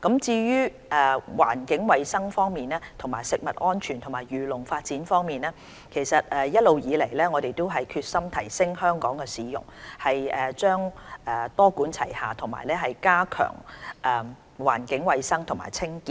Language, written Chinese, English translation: Cantonese, 至於環境衞生、食物安全及漁農發展方面，一直以來，我們決心提升香港的市容，會多管齊下加強環境衞生和清潔。, On environmental hygiene food safety and agricultural and fisheries development we have all along been determined in improving our cityscape and will adopt a multi - pronged approach to enhance environmental hygiene and cleanliness